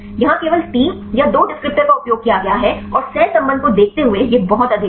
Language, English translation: Hindi, Here the use only 3 or 2 descriptors and see the correlation it is very high